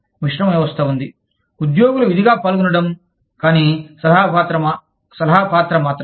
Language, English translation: Telugu, There is a mixed system, with obligatory participation of employees, but only an advisory role